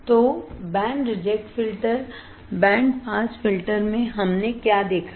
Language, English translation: Hindi, So, band reject filter; in band reject filter in band pass filter what we have seen